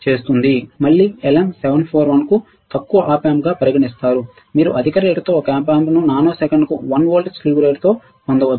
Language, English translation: Telugu, Again LM741 is considered as low Op amp you can get an Op amp with a slew rate excess of 1 volts per nanosecond all right